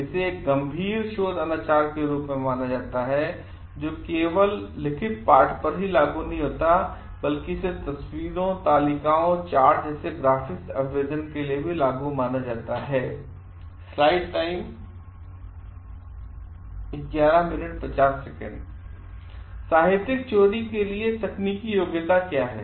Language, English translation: Hindi, It is considered as a serious research misconduct it just doesn t apply to text, but also to graphics representations such as photographs, tables and charts as well